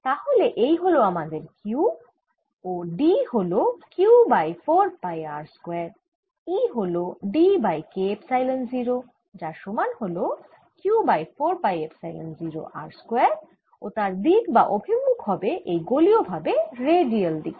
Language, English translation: Bengali, so e inside is q over four pi epsilon zero k r square, and e outside is q over four pi epsilon zero r square, in radial direction